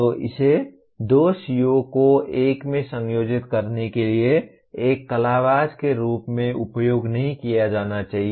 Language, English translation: Hindi, So it should not be used as an artefact to combine two COs into one